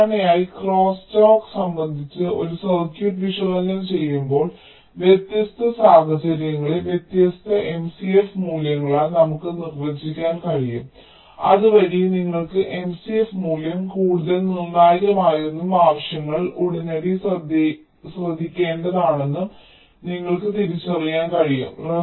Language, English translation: Malayalam, so usually when we analyze a circuit with respect to crosstalk ah, we can ah designate the different situations by different m c f values, so that you can identify that which m, c, f value is more crucial and needs means immediate attention